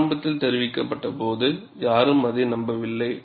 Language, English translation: Tamil, When initially reported, nobody believed it